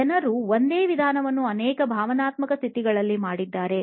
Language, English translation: Kannada, People have done the same method with multiple emotional states